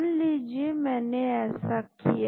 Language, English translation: Hindi, Assume I have done that